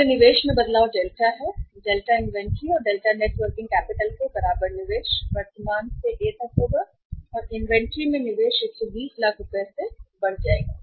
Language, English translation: Hindi, So the change in the investment that is delta investment equal to delta inventory plus delta net working capital will be from current to A investment in the inventory will be increased by 120 lakhs